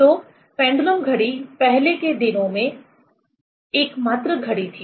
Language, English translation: Hindi, So, pendulum clock was the only clock in earlier days